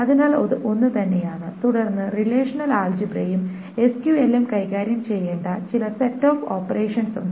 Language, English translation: Malayalam, Then there are certain set operations that the relational algebra and SQL needs to handle